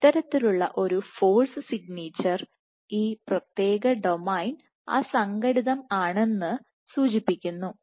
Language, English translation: Malayalam, I would argue this kind of a force signature would suggest that this particular domain A is unstructured